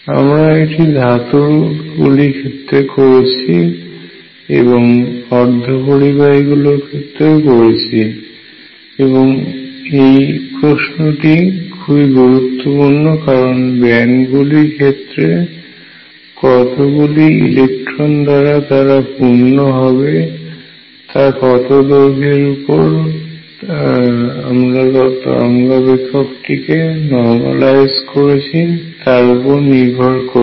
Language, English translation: Bengali, We did this for metals we did this for semiconductors just now and this question is important because filling of bands how many electrons can take depends on precisely over what length am I normalize in the wave function